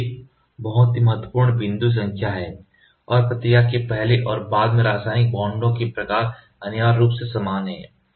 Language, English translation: Hindi, This is a very very important point number and the types of chemical bonds are essentially identical before and after reaction